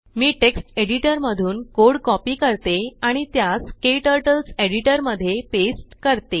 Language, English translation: Marathi, I will copy the code from text editor and paste it into KTurtles editor